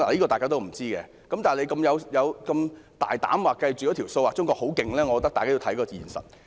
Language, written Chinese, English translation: Cantonese, 大家不知道，但如此大膽的計算，說中國很厲害，我覺得大家需要看看現實。, We do not know; but since the Government has made such bold calculations and said that China is remarkable I think we have to consider the reality